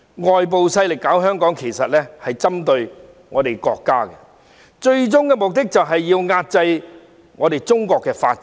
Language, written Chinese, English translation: Cantonese, 外部勢力搞香港，其實便是針對我們國家，最終目的就是要遏制中國的發展。, The external forces meddle in Hong Kong actually for the sake of targeting our country with the ultimate aim to inhibit the development of China